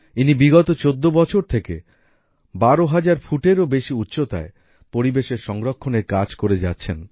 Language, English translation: Bengali, For the last 14 years, he is engaged in the work of environmental protection at an altitude of more than 12,000 feet